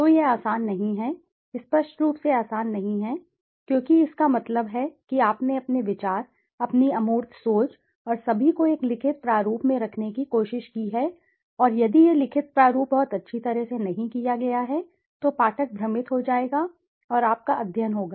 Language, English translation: Hindi, So this is not easy, obviously not easy because that means you have tried to put forth your idea, your abstract thinking and all in a written format and if this written format is not very well done then the reader will be confused and your study would be less valid in nature